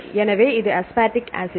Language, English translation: Tamil, So, it is aspartic acid and